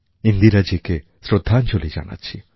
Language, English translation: Bengali, Our respectful tributes to Indira ji too